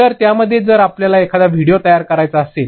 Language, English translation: Marathi, So, in that if you have to create a video, you will be capturing something